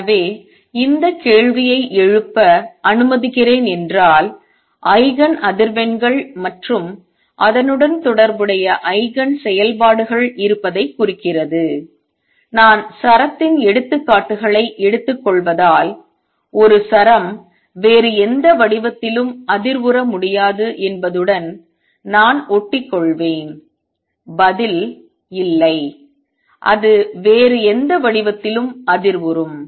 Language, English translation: Tamil, So, does it mean let me raise this question does the existence of Eigen frequencies and corresponding Eigen functions mean that a string since i am taking the examples of string I will just stick to string cannot vibrate with any other shape and the answer is no it can vibrate with any other shape